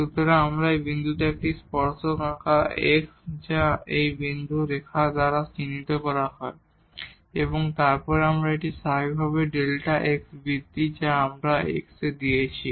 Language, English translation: Bengali, So, we draw a tangent at this point x which is denoted by this dotted line and then this is naturally delta x the increment we have given in x